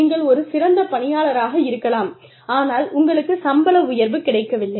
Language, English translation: Tamil, You can be a great employee, but you do not get a raise